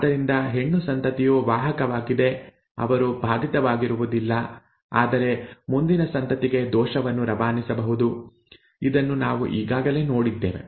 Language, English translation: Kannada, Therefore female offspring is a carrier, is not affected but can pass on to the pass on the defect to the next offspring, this we have already seen, okay, this is the way it happens